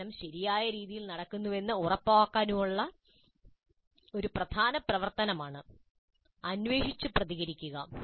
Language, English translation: Malayalam, This is probe and respond is a very key activity to ensure that learning is happening in a proper fashion